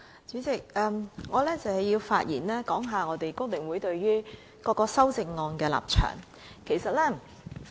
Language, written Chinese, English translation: Cantonese, 主席，我想發言表達香港工會聯合會對各項修正案的立場。, Chairman I would like to state the position of the Hong Kong Federation of Trade Unions FTU on the various amendments